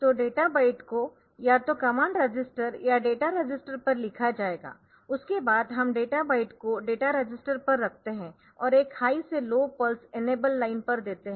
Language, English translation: Hindi, So, the data byte will be retained either to the command port or to the common register or to the data register, after that we place the data byte on the data register and pulse give a pulse on the e line the enable line from high to low